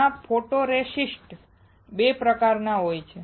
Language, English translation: Gujarati, There are two types of photoresists